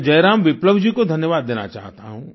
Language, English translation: Hindi, I want to thank Jai Ram Viplava ji